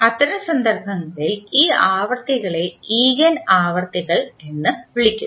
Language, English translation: Malayalam, In that case, these frequencies are called as Eigen frequencies